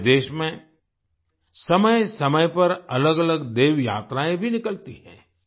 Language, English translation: Hindi, In our country, from time to time, different Devyatras also take place